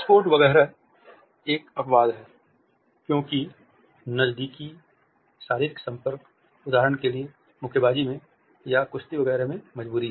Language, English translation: Hindi, Sports etcetera are an exception, because close physical contact, for example, in boxing or in wrestling etcetera is a compulsion